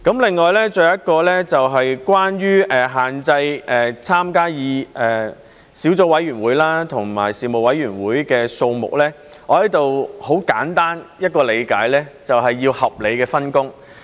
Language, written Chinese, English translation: Cantonese, 另外，還有一點，就是關於限制所參加的小組委員會和事務委員會的數目，我在此很簡單地理解，就是要有合理的分工。, Moreover another point is about limiting the number of subcommittees and Panels to be joined by a Member . I simply take this as a sensible division of work